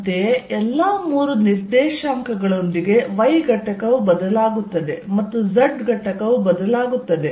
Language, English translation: Kannada, Similarly, y component will change with all the three coordinates and so will the z component